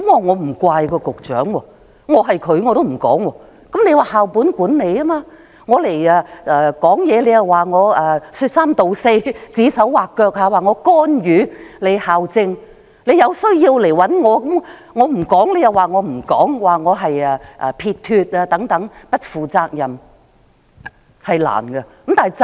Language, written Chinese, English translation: Cantonese, 現在實行校本管理，作為局長如果發聲，會被認為是說三道四、指手劃腳、干預校政，有需要便找他好了；如果他不說，大家卻又會批評他，說他不負責任等。, With the implementation of school - based management now any comment from the Secretary will be regarded as an irresponsible remark made indiscreetly to interfere school governance so it would be fine to let schools contact him when needed . If he makes no comment people will then criticize him for being irresponsible etc